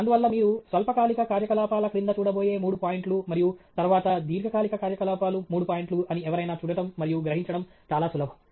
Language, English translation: Telugu, And so, that’s very easy for somebody to look at and get an idea that those are three points that you are going to look at under short term activities and then long term activities three points